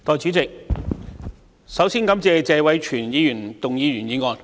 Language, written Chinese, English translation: Cantonese, 代理主席，首先感謝謝偉銓議員動議的原議案。, Deputy President first I must thank Mr Tony TSE for moving the original motion